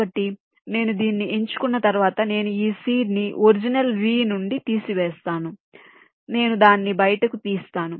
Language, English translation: Telugu, so once i select this one, i remove this seed from the original v